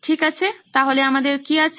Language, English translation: Bengali, Okay, so what have we